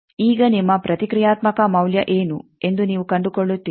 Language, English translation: Kannada, Now, you find out what is your reactance value